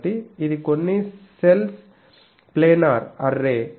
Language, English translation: Telugu, So, it is a planar array of some cells